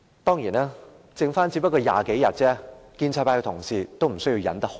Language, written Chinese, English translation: Cantonese, 當然，他的任期只餘下20多天，建制派同事也無須忍耐太久。, Of course there are only 20 - odd days left before he steps down and the pro - establishment colleagues have no need to bear with him too long